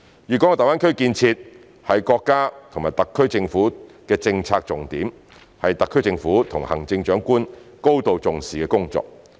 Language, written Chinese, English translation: Cantonese, 粵港澳大灣區建設是國家及特區政府的政策重點，是特區政府及行政長官高度重視的工作。, The GBA development is a policy priority of the country and the SAR Government and is highly valued by the SAR Government and the Chief Executive